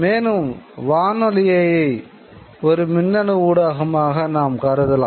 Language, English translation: Tamil, And if we also consider radio as an electronic medium, then that too